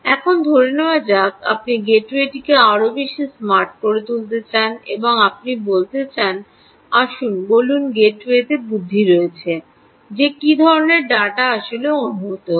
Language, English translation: Bengali, now let's assume you want to make the gateway a little more smarter, ok, and you want to tell, let's say, there is intelligence on the gateway, ah, what kind of data is actually being sensed